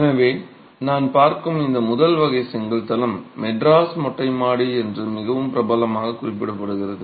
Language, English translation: Tamil, So, this first category of brick floors that I'm looking at is referred to as quite popularly as the Madras Terrace floor